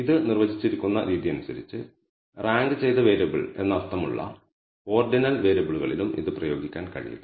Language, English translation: Malayalam, The way it is defined we can also not apply it to ordinal variables which means ranked variable